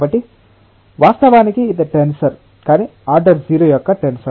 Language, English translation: Telugu, So, of course, it is a tensor, but tensor of order 0